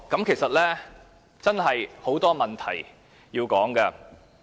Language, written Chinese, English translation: Cantonese, 其實，真的有很多問題需要討論。, There are indeed a lot of issues that warrant discussion